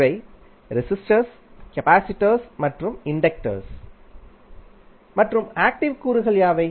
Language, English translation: Tamil, These are resistors, capacitors and inductors and what are the active elements